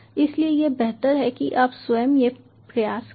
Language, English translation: Hindi, so it is better you try this code also